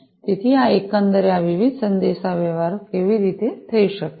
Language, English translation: Gujarati, So, this is the overall how these different communications can happen